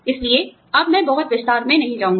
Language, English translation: Hindi, So, I will not go in to, too much detail now